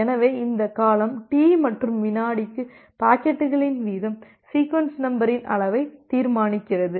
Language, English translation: Tamil, So, this period T and the rate of packets per second determines the size of the sequence number